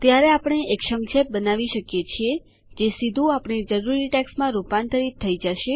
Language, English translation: Gujarati, Then we can create an abbreviation which will directly get converted into our required text